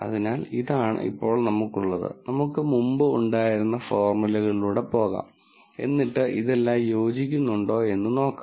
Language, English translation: Malayalam, So, this is what we have this now, let us go through the formulae that we had before and then see whether all of this fits in